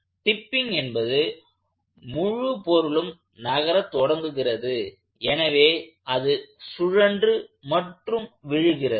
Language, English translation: Tamil, Tipping is where the whole body starts to move in this sense, so it is going to rotate over and fall